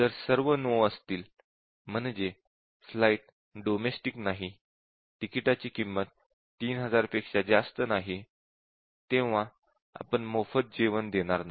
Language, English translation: Marathi, So, if all are no that it is not a domestic flight, more than 3000, not more than 3000, we do not serve free meals